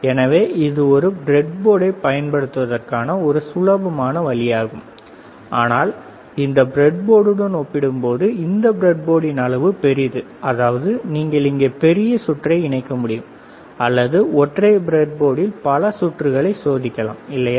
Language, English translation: Tamil, So, it is a easier way of using a breadboard, but this is a bigger size of the breadboard compared to this breadboard; that means, that you can have bigger circuit here, or you can test multiple circuits on the single breadboard, right